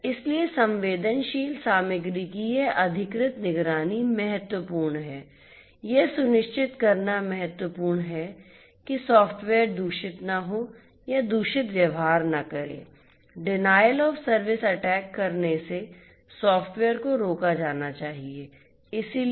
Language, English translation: Hindi, So, this authorized monitoring of sensitive content is important, it is important to ensure that the software does not become corrupt or does not behave corrupt, denial of service attacks should be prevented by the software so, software security is very important